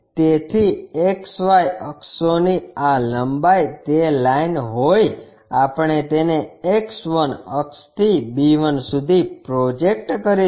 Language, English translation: Gujarati, So, this length from XY axis to be that line we will project it from X 1 axis here to b 1